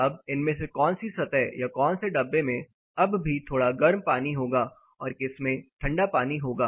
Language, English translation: Hindi, Now which of these surface which of these containers will still have slightly warmer water and which will have cooler water